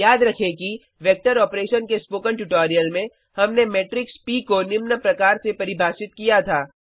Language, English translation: Hindi, Recall that in the Spoken Tutorial,Vector Operations, we had defined the matrix P as follows